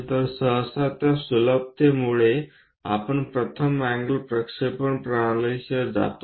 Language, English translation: Marathi, So, because of that easiness usually we go with first angle projection system